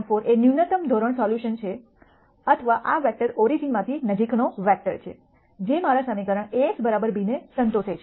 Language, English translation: Gujarati, 4 is the minimum norm solution or this vector is the closest vector from the origin; that satisfies my equation A x equal to b